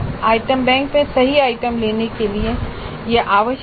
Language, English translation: Hindi, This is required in order to pick up correct items from the item bank